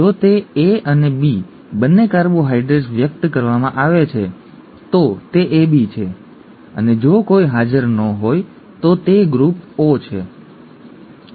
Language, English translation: Gujarati, If it is both A and B carbohydrates being expressed, it is AB and if none are present it is group O, okay